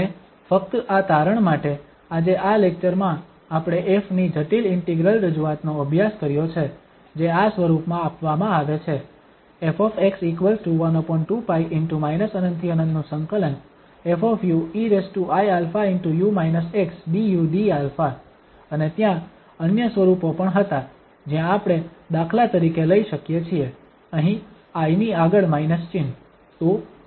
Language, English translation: Gujarati, And just to conclude today in this lecture, we have studied the complex integral representation of f which is given in this form i alpha u minus x and there were other forms as well where we can take for instance, here the minus sign in front of this i